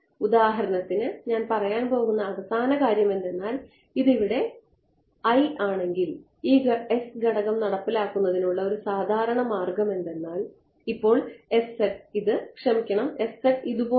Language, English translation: Malayalam, And I think the final thing that I can say for example, if this is L over here a typical way of implementing this S parameter right now we are our interpretation is that s z is like this sorry s z is like this